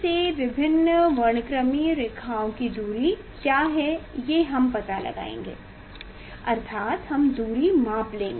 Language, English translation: Hindi, that from the center what is the distance of the different spectral lines that we will find out So that means, this distance we will find out